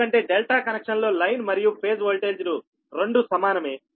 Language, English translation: Telugu, and for the delta delta case, line voltage and phase voltage both are same